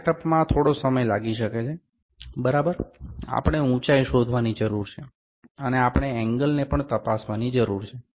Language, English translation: Gujarati, This set up might take some time, ok, we need to find the height, and we need to we can check the angle as well